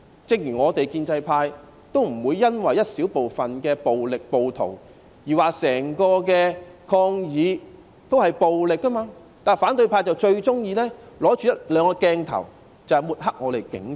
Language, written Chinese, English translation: Cantonese, 正如我們建制派不會因為一小部分的暴力和暴徒而說整個抗議行動也是暴力的，但反對派卻最喜歡憑着一兩個鏡頭來抹黑我們的警察。, While we in the pro - establishment camp do not consider all the demonstrations violent because of a small measure of violence and rioters the opposition camp most likes to sling mud at our policemen based on one or two camera shots